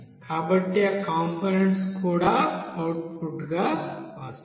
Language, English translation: Telugu, So that components also will be coming out as a output there